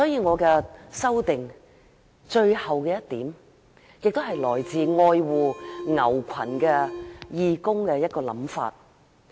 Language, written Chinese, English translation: Cantonese, 我的修正案的最後一點是來自愛護牛群的義工的想法。, The last point in my amendment is the idea of a cattle - loving volunteer